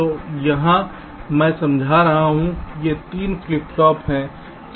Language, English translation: Hindi, these are the three flip flops